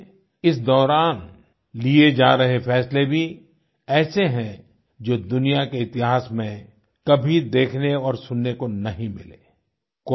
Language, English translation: Hindi, Hence the decisions being taken during this time are unheard of in the history of the world